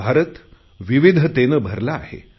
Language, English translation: Marathi, " India is full of diversities